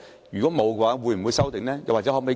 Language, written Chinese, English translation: Cantonese, 如果沒有，會否修訂？, If not will they be amended?